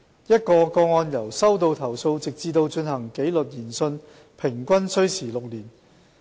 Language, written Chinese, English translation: Cantonese, 一宗個案由收到投訴直至進行紀律研訊平均需時6年。, It takes about six years on average to handle a complaint case from receipt to disciplinary inquiry